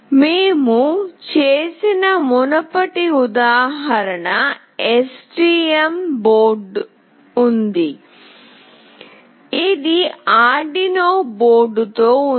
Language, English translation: Telugu, The previous example that we did is with STM board, this is with Arduino board